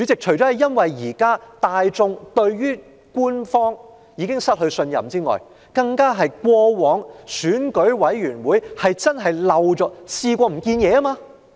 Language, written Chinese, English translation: Cantonese, 除了因為大眾已對官方失去信任，亦因為選舉事務處過往確曾遺失物件。, Apart from the fact that the public has lost trust in the authorities the Registration and Electoral Office did have a history of losing its items